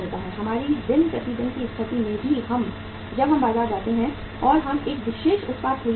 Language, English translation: Hindi, In our day to day situation also when we go to the market and we want to buy a particular product